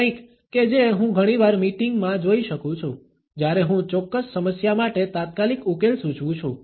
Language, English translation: Gujarati, ” Something I can often see in meetings, when I propose an urgent solution for certain problem